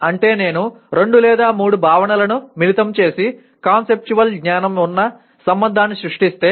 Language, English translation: Telugu, That means if I combine two or three concepts and create a relationship that is also conceptual knowledge